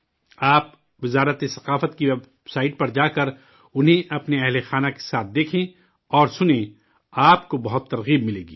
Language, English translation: Urdu, While visiting the website of the Ministry of Culture, do watch and listen to them with your family you will be greatly inspired